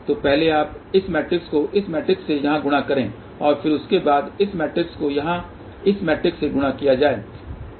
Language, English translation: Hindi, So, first you multiply this matrix with this matrix here and then after that this resultant matrix is to be multiplied by this matrix here